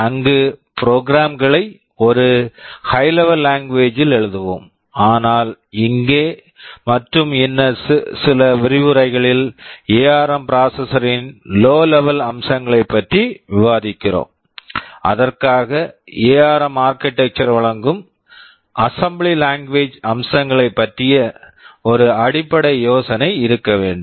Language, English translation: Tamil, There we shall be writing our programs in a high level language, but here in this and a couple of other lectures we shall be discussing about the low level features of the ARM processor, and for that we need to have a basic idea about the assembly language features that ARM architecture provides